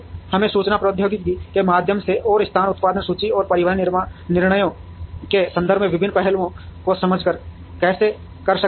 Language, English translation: Hindi, How we can do that is through information technology and by understanding the various aspects in terms of location, production inventory and transportation decisions